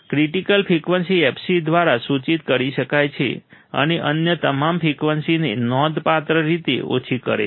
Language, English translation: Gujarati, Critical frequency, can be denoted by fc and significantly attenuates all the other frequencies